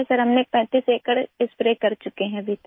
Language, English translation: Hindi, Sir, we have sprayed over 35 acres so far